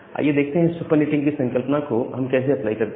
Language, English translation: Hindi, So, here we apply the concept of supernetting